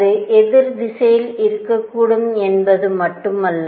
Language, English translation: Tamil, Not only that it could be in the opposite direction